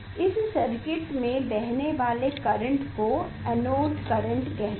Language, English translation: Hindi, we will get current that is called the anode current